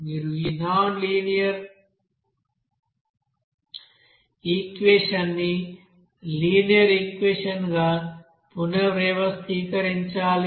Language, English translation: Telugu, You have to you know rearrange this nonlinear equation into a linear equation